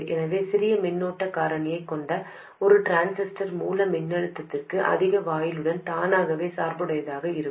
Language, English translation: Tamil, So, a transistor with a smaller current factor automatically gets biased with a higher gate to source voltage